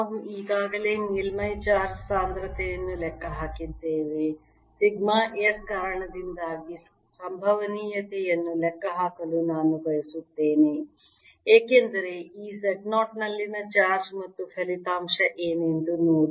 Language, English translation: Kannada, what i would like you to do is calculate the potential due to sigma s because of the charge at this z zero, and see what the result is